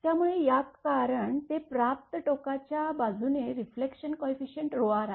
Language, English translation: Marathi, So, it will be because it is reflecting from the receiving end side the reflection coefficient is rho r